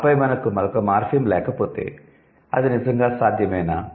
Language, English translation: Telugu, And then if we don't have another morphem, is it really possible